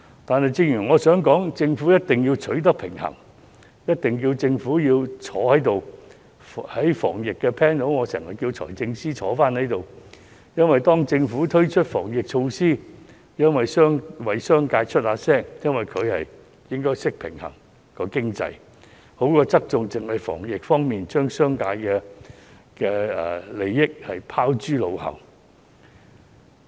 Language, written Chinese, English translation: Cantonese, 但是，我想指出，政府一定要取得平衡，而且政府一定要出席會議——我在經常要求財政司司長列席討論有關防疫條例的 panel， 當政府推出防疫措施時，我們為商界發聲，而局方應該懂得平衡經濟，不要只是側重於防疫方面，而將商界利益拋諸腦後。, I often ask the Financial Secretary to attend the Panel that discusses epidemic prevention legislation . When the Government introduces epidemic prevention measures we will speak out for the business community . Meanwhile the Bureau should know how to balance the economy instead of overly focusing on epidemic prevention but dismissing the interests of the business sector